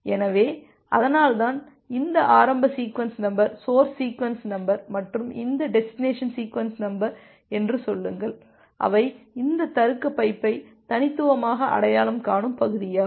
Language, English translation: Tamil, So, that is why this initial sequence number, say source sequence number and this destination sequence number, they also become part of uniquely identifying this logical pipe